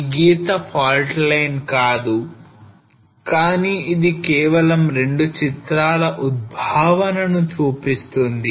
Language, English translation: Telugu, So this line is not in fault line, but it is just an emerging of 2 photographs